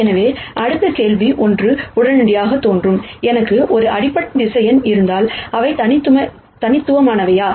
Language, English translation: Tamil, So, the next question that immediately pops up in ones head is, if I have a basis vector, are they unique